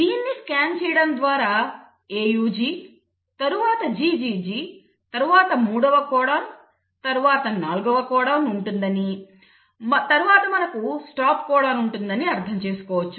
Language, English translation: Telugu, So this is the RNA molecule and by just looking and scanning through it you can understand that it has AUG followed by GGG then the third codon then the fourth codon and then you bump into a stop codon